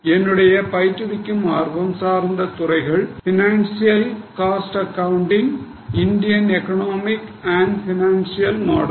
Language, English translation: Tamil, My major teaching interests include financial cost accounting and also Indian economic and financial model